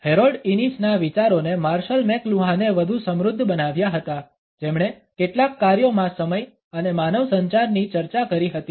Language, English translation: Gujarati, The ideas of Harold Innis were further enriched by Marshall McLuhan who discussed time and human communication in several works